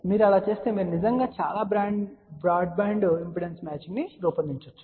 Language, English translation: Telugu, If you do that , you can actually design a very broad band impedance matching